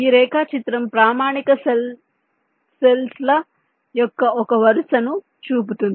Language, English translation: Telugu, this diagram shows one row of this standard cell cells